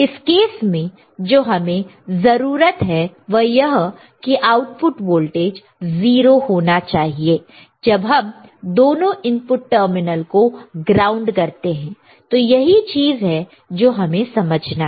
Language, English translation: Hindi, In this case what we are desired thing is the output should be at 0 when we are grounding both the input terminal, that is only one thing that we want to understand right